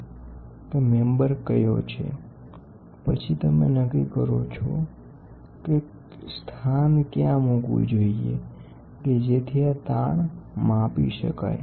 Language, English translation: Gujarati, You decide what the member is on, then you decide where the location to be placed such that these strains can be measured